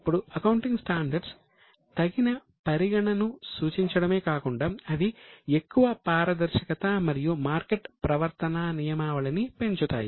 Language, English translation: Telugu, Now, accounting standards not only prescribe appropriate treatment but they foster greater transparency and market discipline